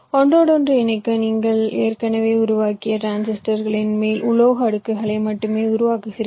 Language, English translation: Tamil, you only fabricate the metal layers on top of the transistors that you already created in order to complete the interconnections